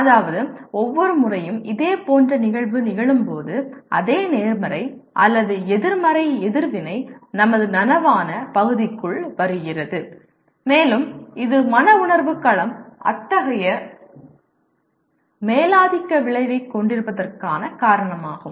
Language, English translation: Tamil, That means every time a similar event occurs the same positive or negative reaction also comes into our conscious area and that is the reason why affective domain has such a dominant effect